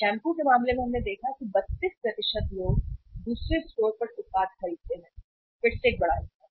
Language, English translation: Hindi, In case of the shampoos we have seen here that uh 32% of the people buy the product at another store, again a big chunk